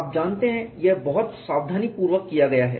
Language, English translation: Hindi, You know it is very carefully don